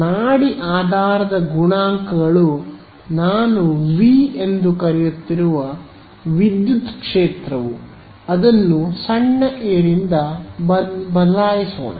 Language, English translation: Kannada, So, the coefficients in the pulse basis for the electric field I am calling v fine let us just change it from small a